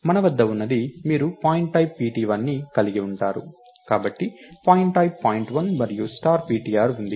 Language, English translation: Telugu, So, what we have is you are going to have pointType pt1, so pointType point1 and star ptr